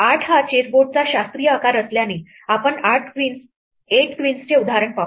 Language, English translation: Marathi, Since 8 is the classical size of a chessboard let us look at specifically our example for 8 queens